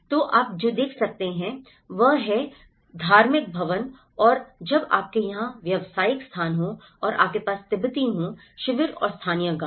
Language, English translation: Hindi, So what you can see is the religious buildings and when you have the commercial spaces here and you have the Tibetan camps and the local villages